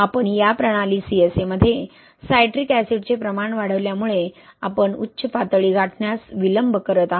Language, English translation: Marathi, As you increase the amount of citric acid in this system CSA, you are delaying the peak, right